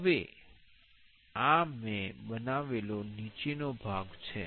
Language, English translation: Gujarati, Now, this is the bottom part I have created